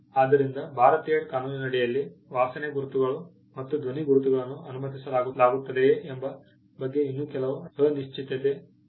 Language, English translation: Kannada, So, there is still some uncertainty as to whether smell marks and sound marks will be allowed under the Indian law